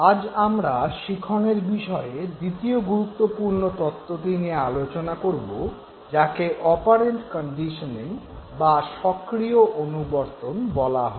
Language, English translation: Bengali, Today we are going to talk about the second important theory in learning what is called as operant conditioning